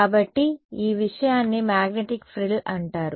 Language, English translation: Telugu, So, this thing is called a magnetic frill right